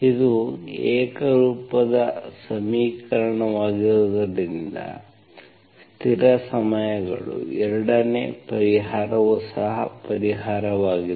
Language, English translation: Kannada, Because it is a homogeneous equation, constant times the 2nd solution is also a solution